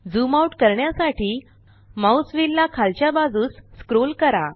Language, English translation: Marathi, Scroll the mouse wheel upwards to zoom in